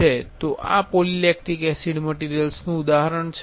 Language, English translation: Gujarati, So, this is an example for polylacticacid material